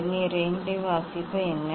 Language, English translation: Tamil, What is the reading of Vernier 2